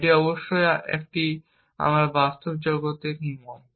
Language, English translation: Bengali, Now of course, this is like what we do in the real world